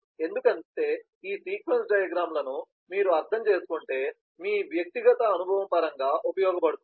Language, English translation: Telugu, because if you understand a couple of these sequence diagrams, in terms of your personal experience